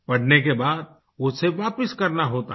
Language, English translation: Hindi, One has to return them after reading